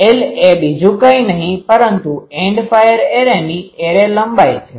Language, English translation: Gujarati, This L is nothing but the End fire length array length